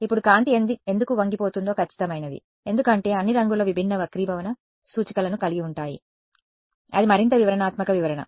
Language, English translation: Telugu, Now, the precise is in why light gets bent is because all the colors have different refractive indices that is the more detailed explanation